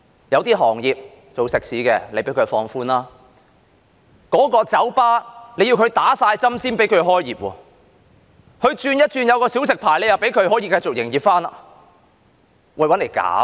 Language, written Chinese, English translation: Cantonese, 有些行業經營食肆，獲放寬限制，酒吧卻要全部員工打了針才可營業，但只要轉為持小食牌，又可以繼續營業。, The restrictions on the operation of restaurants have been relaxed whereas bars cannot operate until all their staff have been vaccinated but if they hold a light refreshment licence instead they may continue to operate